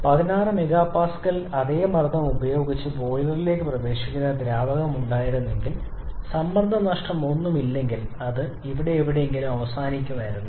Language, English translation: Malayalam, Had the fluid entering the boiler with the same pressure of 16 MPa that is there is no pressure loss then it would have ended up somewhere here